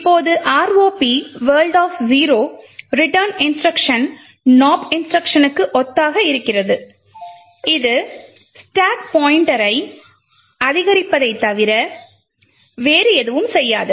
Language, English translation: Tamil, Now in the ROP world the return instruction is simpler to a no opt instruction, it does nothing but simply just increments the stack pointer